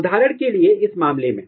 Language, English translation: Hindi, For example if you take this this particular case